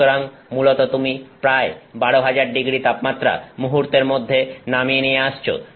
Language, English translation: Bengali, So, you are basically dropping about 12,000º of temperature almost instantaneously